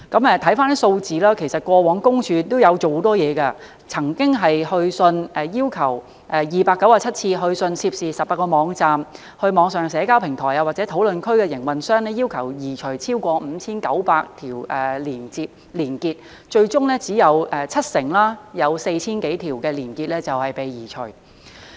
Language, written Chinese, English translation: Cantonese, 看回數字，其實過往私隱公署亦做了很多工作，曾經有297次去信涉事的18個網站、網上社交平台或討論區的營運商，要求移除超過 5,900 條連結，最終只有 70%， 即約 4,000 多條連結被移除。, If Members look at figures they will see that PCPD has actually done a lot over the years . It has issued 297 letters to the operators of the 18 websites online social media platforms or discussion forums in question to request their removal of over 5 900 weblinks . In the end only 70 % or around 4 000 of such links have been removed